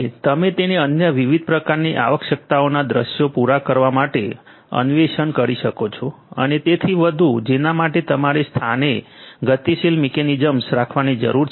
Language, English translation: Gujarati, And you can extrapolate it to cater to the other different types of requirements scenarios and so on so, for which you need to have dynamic mechanisms in place